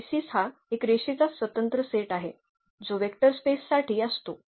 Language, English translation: Marathi, So, the basis is a linearly independent set that span a vector space